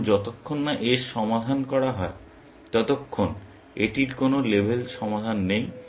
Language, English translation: Bengali, So, while, S is not solved, means it does not have a label solved